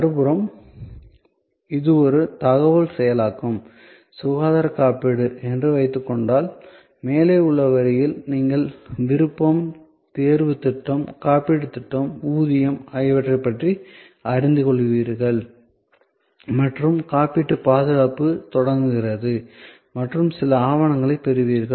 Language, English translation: Tamil, On the other hand, if suppose it is an information processing, health insurance, so the above the line will be you learn about option, select plan, insurance plan, pay and the insurance coverage starts and you get some documents, etc